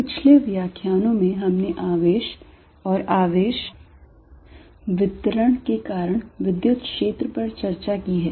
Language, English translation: Hindi, In the previous lectures, we have discussed the Electric Field due to Charges and Charge Distributions